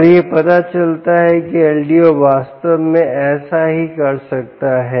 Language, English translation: Hindi, and it turns out ldo can actually do that as well